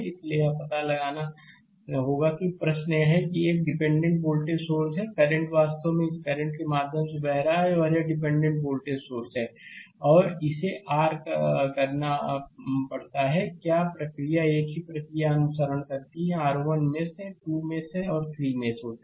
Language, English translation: Hindi, So, we have to find out that I the question is this one; this is a dependent voltage source, right, this current actually I flowing through this current is I and this is a dependent voltage source and you have to you have to your; what you call follow the same procedural, right we have your 1 mesh, 2 mesh and 3 meshes are there